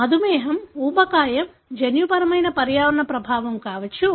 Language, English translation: Telugu, Diabetes, obesity can be genetic, environmental effect